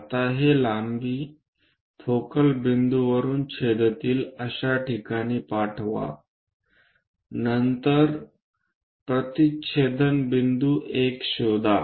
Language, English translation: Marathi, Now, transfer these lengths one from focal point all the way to join intersect that, then locate the point intersection 1